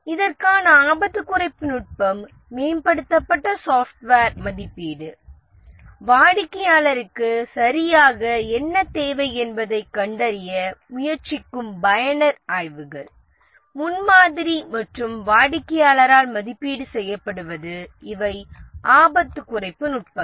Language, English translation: Tamil, And the risk reduction technique for this is improved software evaluation, user surveys trying to find out what exactly the customer needs prototyping and getting it evaluated by the customer these are the risk reduction techniques